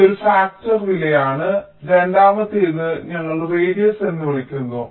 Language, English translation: Malayalam, ok, this is one factor, cost, and the second one, which we call as radius: what is radius